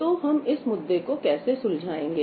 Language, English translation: Hindi, So, how do we address this issue